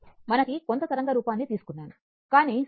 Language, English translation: Telugu, We have taken some wave form, but symmetrical